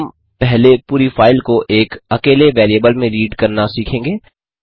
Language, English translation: Hindi, We shall first learn to read the whole file into a single variable